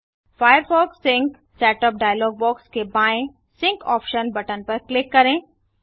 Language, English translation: Hindi, The setup is complete Click on the sync option button on the left of the firefox sync setup dialog box